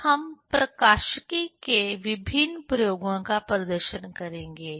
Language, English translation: Hindi, Then we will perform, will demonstrate different experiments on optics